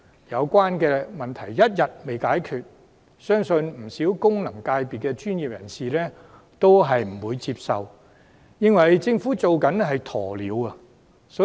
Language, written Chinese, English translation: Cantonese, 這個問題一日未解決，不少功能界別的專業人士都不會接受，並質疑政府採取"鴕鳥"政策。, As long as this problem is not resolved the professionals of many FCs will not accept the arrangement and they will question why the Government adopts such an ostrich policy